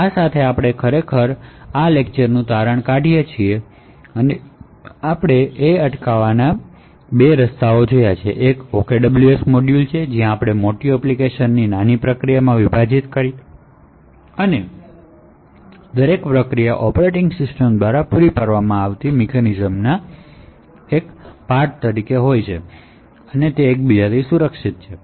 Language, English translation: Gujarati, So with this we actually conclude the lectures on confinement, we see two ways to actually achieve confinement, one is the OKWS module where we split a large application into several small processes and each process by the virtue of the mechanisms provided by the operating system will be protected from each other